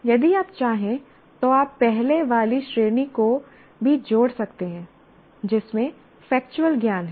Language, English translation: Hindi, It is, if you want, you can also add the earlier category, namely factual knowledge